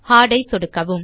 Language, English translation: Tamil, Left click Hard